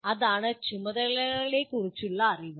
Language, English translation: Malayalam, That is knowledge of the tasks